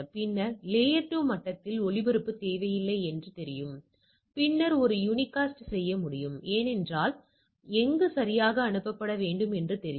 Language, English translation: Tamil, And then, I then I know do not require a broadcast at the layer 2 level, then I can do a unicast because, I know that where to be send right